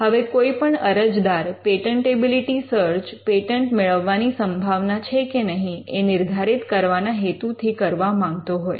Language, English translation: Gujarati, Now, the reason an applicant may want to do a patentability search is to determine the chances of obtaining a patent